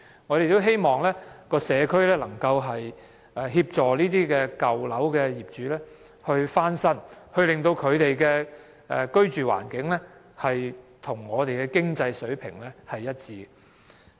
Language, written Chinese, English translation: Cantonese, 我們也希望社區能協助這些舊樓業主翻新樓宇，令他們的居住環境與我們的經濟水平一致。, We also hope that the community will assist these owners of old buildings in renovating their buildings so that their living environment can be brought on par with the economic condition in Hong Kong